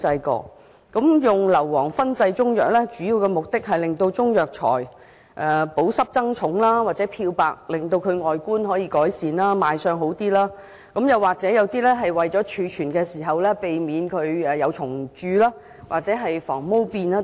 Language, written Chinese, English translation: Cantonese, 使用硫磺燻製中藥，主要目的是令中藥材保濕以增加重量，或漂白改善外觀，令賣相較好，又或是為了在貯存時避免蟲蛀或防霉等。, The main purpose of fumigating Chinese medicines with sulphur is to keep the Chinese herbal medicines moist so that they will weigh heavier to bleach them so that they will look better to customers or to prevent them from being infested by insects or getting mouldy during storage etc